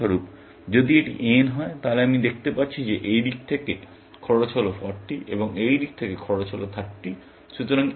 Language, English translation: Bengali, For example, if this was n, then I can see that from this side, the cost is 40, and from this side, the cost is 30